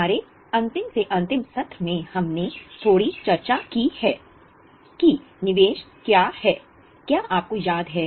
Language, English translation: Hindi, In our last to last session we had discussed a bit about what is an investment